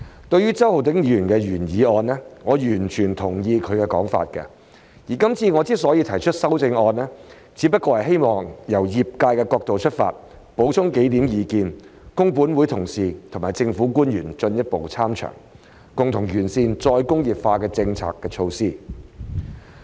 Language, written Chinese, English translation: Cantonese, 對於周浩鼎議員的原議案，我完全同意他的說法，而今次我之所以提出修正案，只不過希望由業界角度出發，補充幾點意見，供本會同事和政府官員進一步參詳，共同完善"再工業化"的政策措施。, I fully agree with what Mr Holden CHOW has said in his original motion and I have proposed my amendment because I would like to add a few points from the industrys perspective for further consideration by my colleagues of this Council and government officials so that we can work together to improve the policy measures on re - industrialization